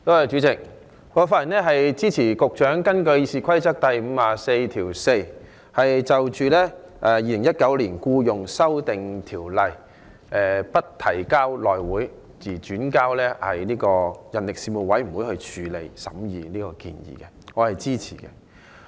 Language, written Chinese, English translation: Cantonese, 主席，我發言支持局長根據《議事規則》第544條，動議將《2019年僱傭條例草案》不交付內務委員會，而交付人力事務委員會處理，我是支持這項建議的。, President I speak in support of the Secretarys motion moved under Rule 544 of the Rules of Procedure that the Employment Amendment Bill 2019 the Bill be referred to the Panel on Manpower instead of the House Committee . I am in support of this proposal